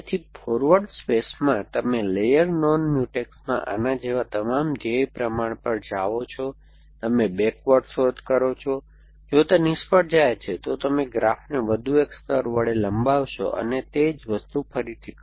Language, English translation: Gujarati, So, in the forward space, you go all goal proportions like this in the layer non Mutex, you do backward search, if it fails then you extend the graph by one more layer and do the same thing again